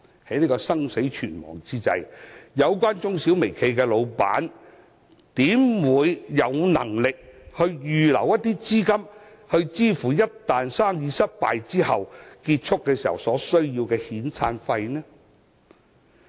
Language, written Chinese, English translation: Cantonese, 在這生死存亡之際，有關中小微企的老闆怎會有能力預留資金，支付一旦生意失敗後，結束業務所需要的遣散費呢？, At this critical juncture do you think they can still reserve capital for severance payments in the event of business failure and closure?